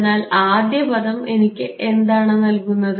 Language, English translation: Malayalam, So, first term what does it give me